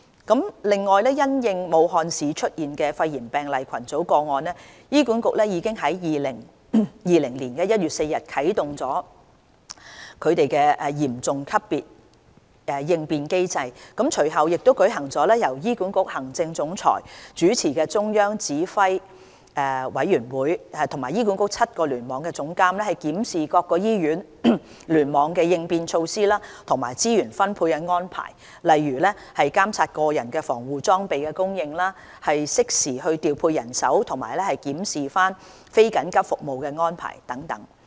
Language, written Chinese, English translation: Cantonese, 此外，因應武漢市出現的肺炎病例群組個案，醫管局已於2020年1月4日啟動嚴重級別應變機制，隨後亦舉行了由醫管局行政總裁主持的中央指揮委員會，與醫管局7個聯網總監檢視各醫院聯網的應變措施和資源分配安排，例如監察個人防護裝備供應、適時調配人手及檢視非緊急服務安排等。, In addition in response to the cluster of pneumonia cases in Wuhan HA activated Serious Response Level on 4 January 2020 and subsequently held a Central Command Committee meeting chaired by Chief Executive of HA to review the response measures and allocation of resources in each hospital cluster with seven Cluster Chief Executives of HA such as monitoring the supply of personal protective equipment deploying manpower in a timely manner and reviewing non - emergency service arrangement